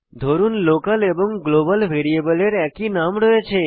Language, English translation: Bengali, Suppose the local variable and the global variable have same name